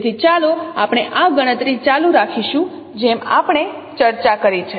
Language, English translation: Gujarati, So let us carry on this computation as we discussed